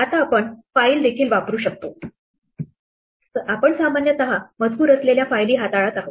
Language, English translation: Marathi, Now, we can also consume a file, we are typically dealing with text files